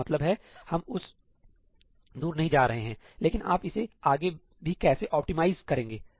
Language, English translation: Hindi, we are not going to go that far, but how do you optimize this even further